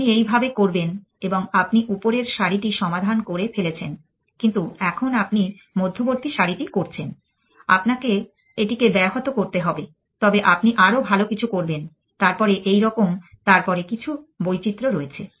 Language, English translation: Bengali, You do like this and you have solve the top row, but now you have on do the middle row you have to disrupt this, but you do something better then like this then there a some variation then a